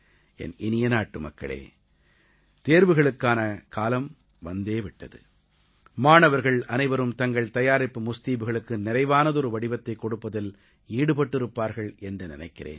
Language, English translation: Tamil, My dear countrymen, the exam season has arrived, and obviously all the students will be busy giving final shape to their preparations